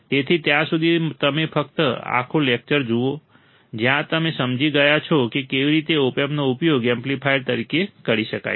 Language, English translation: Gujarati, So, till then you just look at the whole lecture, where you have understood how the opamp can be used as an amplifier